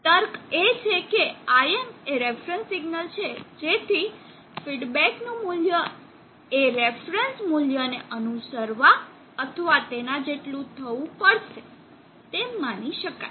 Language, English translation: Gujarati, The logic is that IM is the reference, IT is the feedback value which is supposed to try and follow or meet the reference value